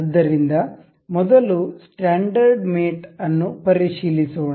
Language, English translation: Kannada, So, let us check the standard mates first